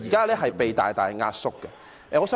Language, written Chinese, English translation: Cantonese, 現時被大大縮壓。, has been greatly suppressed